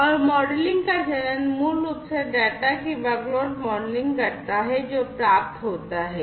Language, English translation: Hindi, And the modelling phase basically does this workload modelling of the data, that are received